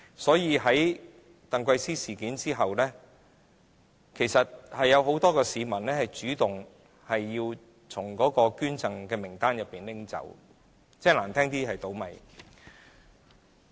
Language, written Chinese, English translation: Cantonese, 所以，在鄧桂思事件後，其實令很多市民主動要求把自己的名字從捐贈名單中剔除。, That is why after the TANG Kwai - sze incident many people have requested to remove their names from the donors list